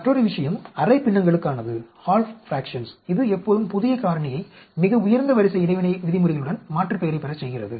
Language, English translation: Tamil, Another thing is for half fractions that always alias the new factor with the highest order interaction terms